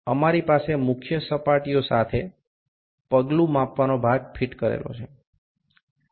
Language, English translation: Gujarati, We have the step measuring phase fitted with the major surfaces